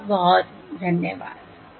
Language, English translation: Hindi, thank you, thanks very much